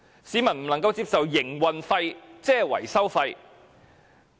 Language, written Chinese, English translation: Cantonese, 市民不能接受營運費即是維修費。, People cannot accept that operating cost is maintenance cost